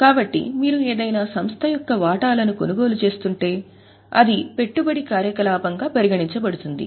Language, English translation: Telugu, So, if you are purchasing shares of some entity it will be an investing activity